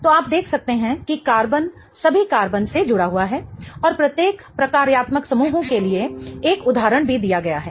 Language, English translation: Hindi, So, you can see that the carbon is connected to all carbons and there is also an example given for each functional groups